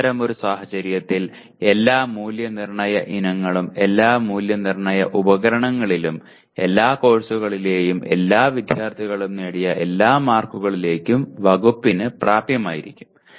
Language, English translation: Malayalam, In such a case, the department will have access to all the marks obtained for all Assessment Items in all Assessment Instruments by all students in all courses